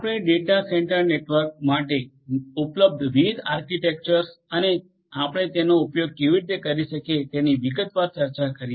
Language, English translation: Gujarati, We have also discussed in detail the different different architectures that are available for data centre network and how you are going to use them